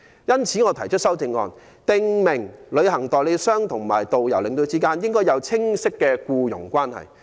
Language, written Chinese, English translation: Cantonese, 因此我提出修正案，訂明旅行代理商與導遊、領隊之間，應訂立清晰的僱傭關係。, That is why I have proposed an amendment to require a clear employer - employee relationship between travel agents and tourist guidestour escorts